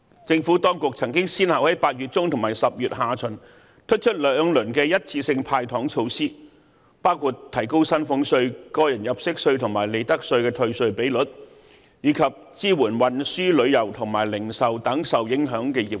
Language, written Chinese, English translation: Cantonese, 政府當局曾先後在8月中和10月下旬推出兩輪一次性"派糖"措施，包括提高薪俸稅、個人入息課稅及利得稅退稅比率，以及支援運輸、旅遊和零售等受影響的業界。, The Administration has introduced two rounds of one - off handing out candies measures in mid - August and October respectively including raising the rate of tax refund for salaries tax tax under personal assessment and profits tax as well as to support the transport tourism and retail industries affected by the social unrest